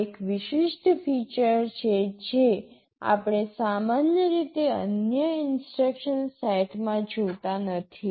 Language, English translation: Gujarati, This is a unique feature that we normally do not see in other instruction sets